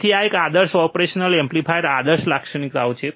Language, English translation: Gujarati, So, these are the ideal characteristics of an ideal operational amplifier